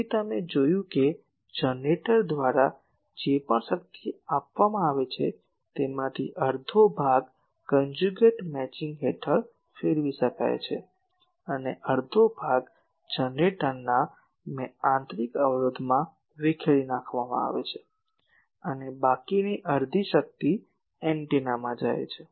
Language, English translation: Gujarati, So, you see that whatever total power is supplied by the generator, only half of that under conjugate matching can be radiated and half get is dissipated in the internal resistance of the generator and the remaining half power goes to antenna